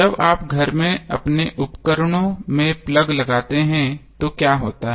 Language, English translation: Hindi, So what happens when you plug in your appliance in the house